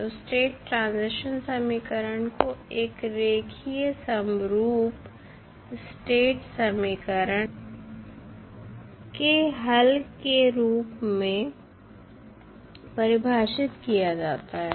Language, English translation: Hindi, So, the state transition equation is define as the solution of linear homogeneous state equation